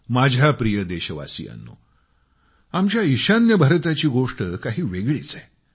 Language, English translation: Marathi, My dear countrymen, our NorthEast has a unique distinction of its own